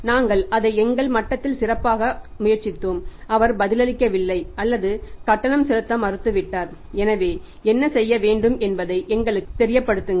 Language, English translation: Tamil, We tried it at our level best and he is not responding or has refused to make the payment so please let us know what is to be done